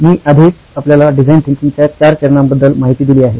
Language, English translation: Marathi, I have already briefed you about four stages of design thinking